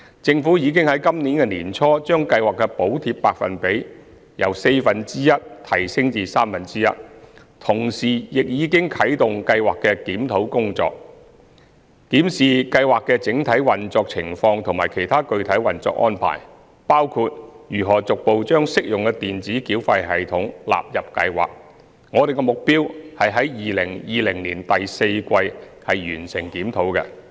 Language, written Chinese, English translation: Cantonese, 政府已於本年年初將計劃的補貼百分比由四分之一提升至三分之一，同時亦已經啟動計劃的檢討工作，檢視計劃的整體運作情況和其他具體運作安排。我們的目標是於2020年第四季完成檢討。, Since the beginning of this year the Government has increased the subsidy rate of the Scheme from one fourth to one third of the monthly public transport expenses exceeding 400 and kick - started the review of the Scheme to examine